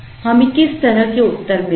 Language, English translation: Hindi, What kind of answers would we get